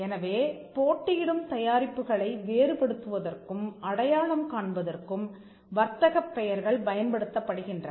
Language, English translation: Tamil, So, trade names are used to distinguish and to identify competing products